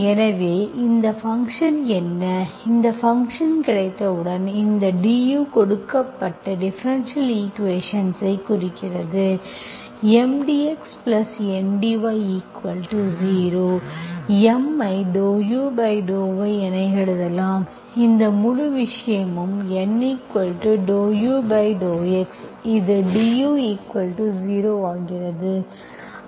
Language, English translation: Tamil, So what is this function, once you have this function, this du, right, so this implies given differential equation M dx plus N dY equal to 0, I can write M as dow u by dow y, this whole thing where dow u, dow u by dow x, that makes it dow u equal to 0